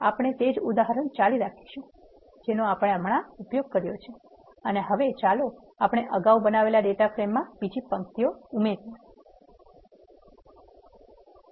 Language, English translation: Gujarati, We will continue the same example which we have used and now let us say we want to add another row to the data frame which you have created earlier